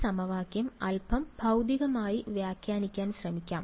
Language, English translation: Malayalam, So, let us try to interpret this equation a little bit physically